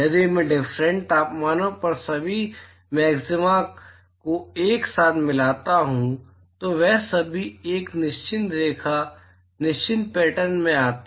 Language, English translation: Hindi, If I join all the maxima together at different temperatures, they all fall into a certain line certain pattern